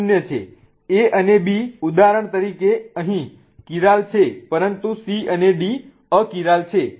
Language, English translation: Gujarati, A and B for example here are chiral but C and D are A chiral